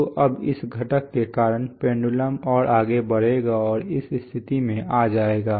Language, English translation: Hindi, So now due to this component this pendulum will move further and will come to this position